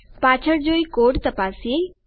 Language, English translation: Gujarati, Lets go back and check the code